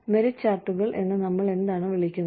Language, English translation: Malayalam, What we call as merit charts